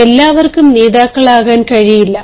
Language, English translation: Malayalam, not all of us can be leaders